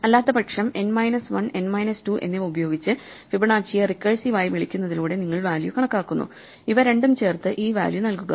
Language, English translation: Malayalam, Otherwise, you compute the value by recursive to recursively calling Fibonacci on n minus 1 and n minus 2, add these two and return this value